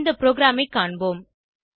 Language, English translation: Tamil, Let us go through the program